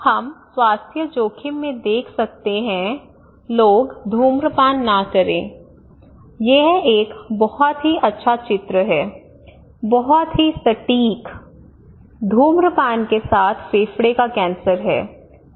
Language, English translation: Hindi, Also maybe we can look into health risk in order to ask people not to smoke this is a very nice picture nice poster with very precise very concise smoking causes lung cancer